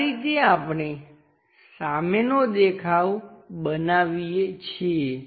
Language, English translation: Gujarati, This is the way we construct a front view